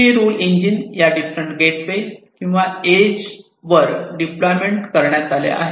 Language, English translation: Marathi, These rule engines are deployed at these different gateways or the edges